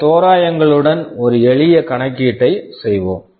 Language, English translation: Tamil, Let us make a simple calculation with some approximation